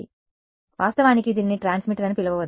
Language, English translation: Telugu, So, let us actually let us not call this is a transmitter